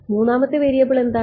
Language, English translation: Malayalam, What is the third variable